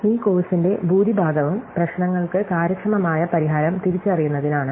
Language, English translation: Malayalam, Most of this course has been about identifying efficient solution to problems